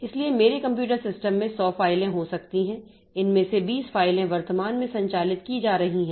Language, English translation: Hindi, So, in my computer system there may be hundreds of files out of these 20 files are currently being operated on